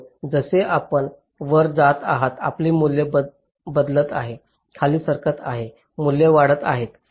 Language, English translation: Marathi, so as you move up, your values are changing, move down, values are increasing